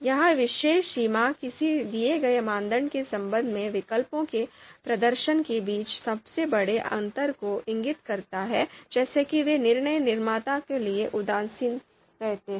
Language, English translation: Hindi, So this particular threshold indicates the largest difference between the performance of between the performance of the performances of the alternatives with respect to a given criterion such that they remain indifferent for the decision maker